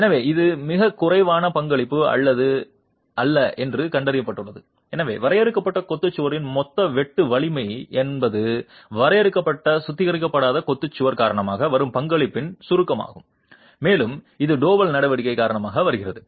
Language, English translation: Tamil, So, it's found to be not a negligible contribution and therefore the total sheer strength of the confined masonry wall is a contribution is a summation of a contribution coming due to the confined un reinforced masonry wall and that coming due to the double action